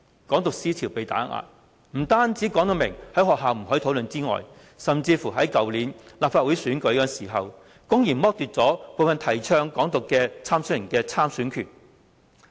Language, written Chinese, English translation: Cantonese, "港獨"思潮被打壓，不但明言在學校不可以討論，甚至在去年的立法會選舉時，公然剝奪部分曾提倡"港獨"的參選人的參選權。, The idea of Hong Kong independence is suppressed; not only are schools specifically forbidden to discuss this issue certain candidates who once advocated Hong Kong independence were also blatantly stripped of their right to stand for the Legislative Council election last year